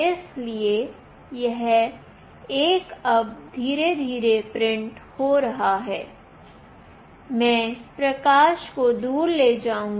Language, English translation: Hindi, So, it is printing 1 now slowly, I will take away the light